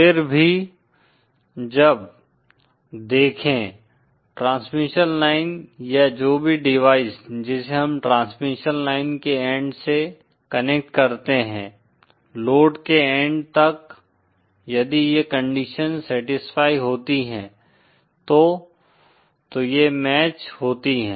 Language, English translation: Hindi, However; when, see the transmission line or whichever device which we connect to the end of the transmission, to the end of the load, if these conditions are satisfied then it will be matched